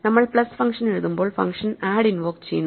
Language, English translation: Malayalam, So, when we write plus the function add is invoked